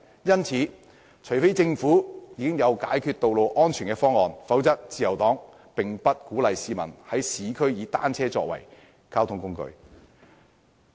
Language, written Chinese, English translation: Cantonese, 因此，除非政府已經有解決道路安全問題的方案，否則，自由黨並不鼓勵市民在市區以單車作為交通工具。, For this reason the Liberal Party does not encourage the use of bicycles as a mode of transport by members of the public in urban areas unless the Government has come up with solutions to address road safety issues